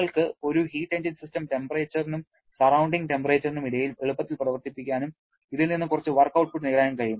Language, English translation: Malayalam, You can easily run a heat engine between the system temperature and surrounding temperature and get some work output from this